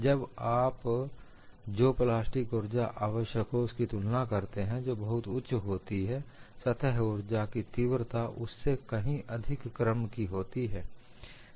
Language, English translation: Hindi, When you compare the plastic energy that is required, it is very high, several orders of magnitude than the surface energy